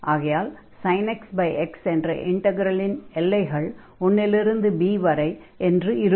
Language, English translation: Tamil, So, if we take this integral here sin x over x dx, this x is going from 1 to any number this b